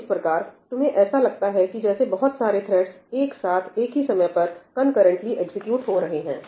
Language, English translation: Hindi, So, you get the impression that multiple threads are executing concurrently at the same thing, right